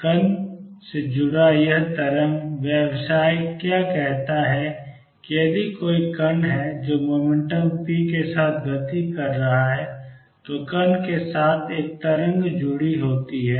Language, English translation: Hindi, What this wave business associated with particle says is that If there is a particle which is moving with momentum p, with the particle there is a wave associated